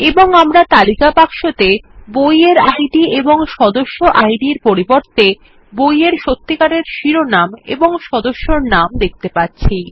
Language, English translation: Bengali, And, we are also seeing list boxes with real book titles and member names, instead of book Ids and member Ids